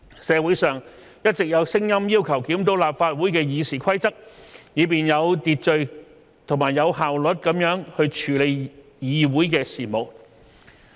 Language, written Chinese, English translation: Cantonese, 社會上一直有聲音要求檢討立法會的《議事規則》，以便有秩序及有效率地處理議會事務。, In the community there have been calls to review RoP of the Legislative Council so that Council business can be dealt with orderly and efficiently